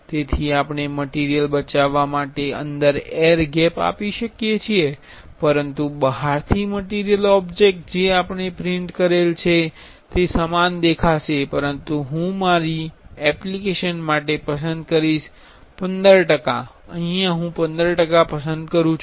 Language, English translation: Gujarati, So, we can give some air gap inside that to save some material, but the from the outside the material the object we have printed will look the same, but I will choose for my application, I will choose 15 percentage